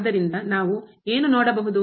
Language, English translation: Kannada, So, what we can also see